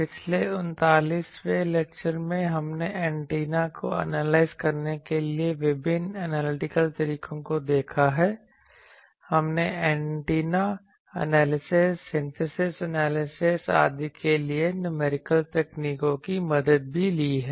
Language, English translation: Hindi, For last 39 lectures, we have seen various analytical methods to analyze the antenna; we also took the help of various numerical techniques some numerical techniques to have the antennas analysis synthesis etc